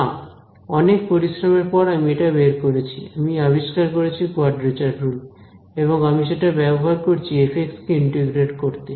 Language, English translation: Bengali, No, I have given you I have invented after a lot of hard work I have invented a quadrature rule ok and, I use it to integrate f of x